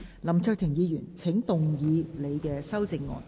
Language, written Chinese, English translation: Cantonese, 林卓廷議員，請動議你的修正案。, Mr LAM Cheuk - ting you may move your amendment